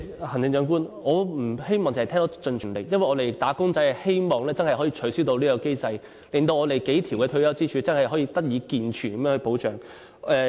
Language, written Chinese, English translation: Cantonese, 行政長官，我不希望只是聽到"盡全力"，因為"打工仔"真的希望能取消此機制，令我們的數條退休支柱能提供健全保障。, Chief Executive I do not want to merely hear that you will do your level best because wage earners really hope that this mechanism will be abolished in order for our several retirement pillars to provide robust and comprehensive protection